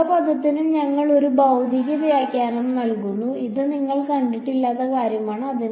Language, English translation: Malayalam, And we will give a physical interpretation to every term; this thing is something that you have not encountered